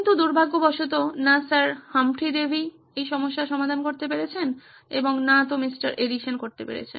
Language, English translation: Bengali, But unfortunately neither could Sir Humphry Davy solve this problem and neither could Mr